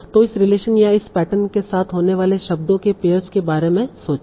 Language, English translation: Hindi, So think about a pair of words that occur with this relation or this pattern